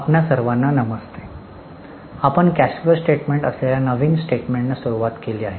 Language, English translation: Marathi, We had started with a new statement that is cash flow statement